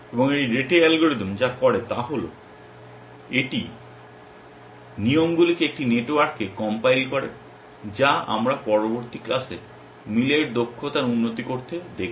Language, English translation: Bengali, And what this rete algorithm does is to, it compiles the rules into a network which we will see in the next class to improve upon the efficiency of match